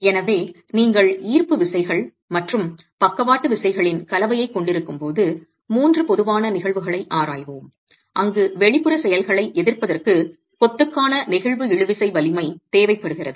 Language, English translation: Tamil, So, let's examine the three typical cases when you have a combination of gravity forces and lateral forces where the flexual tensile strength is required for the masonry to resist the external actions